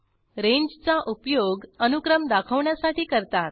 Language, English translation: Marathi, Ranges are used to express a sequence